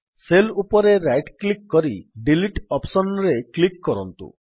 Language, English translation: Odia, Right click on the cell and then click on the Delete option